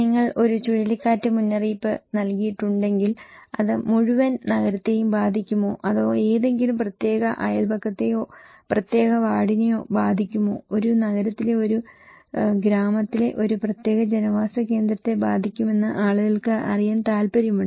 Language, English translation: Malayalam, If you have given a cyclone warning, people want to know is it the entire city that will be affected or is it any particular neighbourhood or particular ward that will be affected, particular settlements will be affected in a city, in a village, in a province